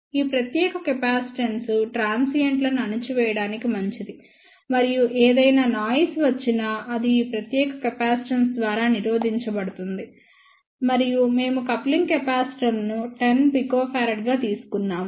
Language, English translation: Telugu, This particular capacitance is good for suppressing the transients and this is in between think any noise which comes and that will be blocked by this particular capacitance and we have taken coupling capacitors as 100 picofarad